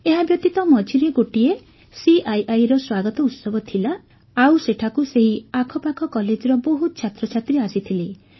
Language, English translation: Odia, Plus there was a CII Welcome Ceremony meanwhile, so many students from nearby colleges also came there